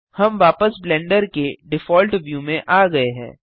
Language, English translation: Hindi, We are back to Blenders default view